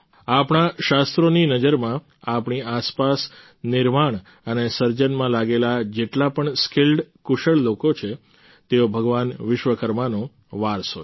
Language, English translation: Gujarati, In the view of our scriptures, all the skilled, talented people around us engaged in the process of creation and building are the legacy of Bhagwan Vishwakarma